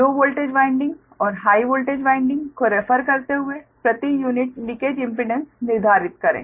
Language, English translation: Hindi, right base value determine the per unit leakage impedance: referred to low voltage winding and referred to high voltage winding right